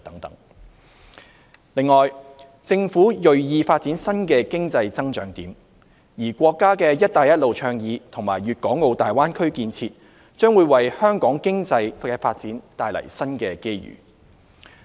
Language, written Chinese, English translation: Cantonese, 此外，政府銳意發展新的經濟增長點，而國家的"一帶一路"倡議和粵港澳大灣區建設將為香港經濟發展帶來新機遇。, In addition the Government actively seeks economic growth and the Countrys Belt and Road Initiative and the Guangdong - Hong Kong - Macao Greater Bay Area will bring new opportunities to Hong Kongs economic development